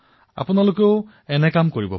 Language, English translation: Assamese, You too can do that